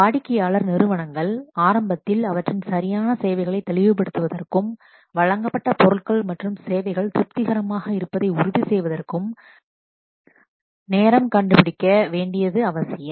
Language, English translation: Tamil, It is essential that the customer organizations they should find time to clarify their exact requirements at the beginning and to ensure that the goods and services delivered are satisfactory